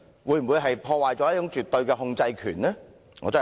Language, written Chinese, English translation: Cantonese, 會否破壞絕對的控制權？, Will this undermine her absolute control?